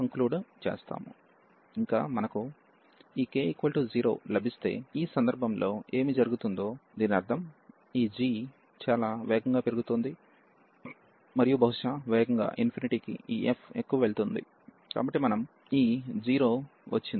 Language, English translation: Telugu, Further if we get for example this k to be 0, so in this case what is happening that means, this s this g is growing much faster and perhaps going to infinity than this f x, so we got this 0